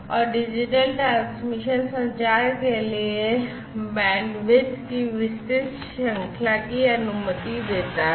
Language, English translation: Hindi, And, this digital transmission allows wide range of bandwidth for communication